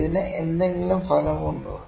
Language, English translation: Malayalam, Is it having some effect